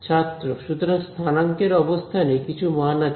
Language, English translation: Bengali, So, at the position of the co ordinate has some value